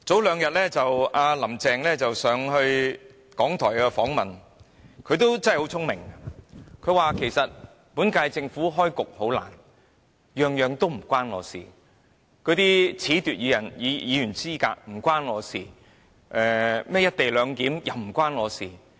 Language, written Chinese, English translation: Cantonese, "林鄭"早前到港台接受訪問，她很聰明地說："本屆政府開局甚艱難，每件事都與我無關，包括褫奪議員資格一事與我無關，'一地兩檢'的安排也與我無關"。, During an RTHK interview earlier on Carrie LAM made these clever remarks The current Government has a very difficult start . In fact I have nothing to do with all those issues such as the disqualification of Legislative Council Members and the co - location arrangement